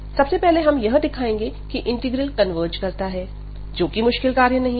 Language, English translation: Hindi, So, first we will show that this integral converges, which is a trivial task now